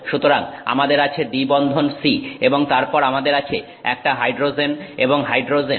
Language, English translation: Bengali, So, we have C double bond C and then we have a hydrogen, we have a hydrogen and hydrogen